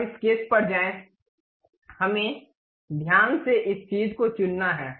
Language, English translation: Hindi, Now, go to sketch, we have to carefully select this thing ok